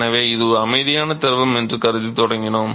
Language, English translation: Tamil, So, we started by assuming that it is a quiescent fluid